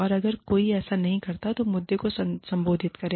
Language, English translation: Hindi, And, if it is not done, then address the issue